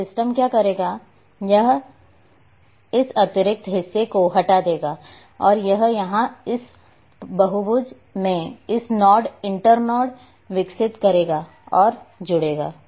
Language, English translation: Hindi, And what the system will do, it will remove this extra part and it will develop a node inter node in this polygon at here and will connected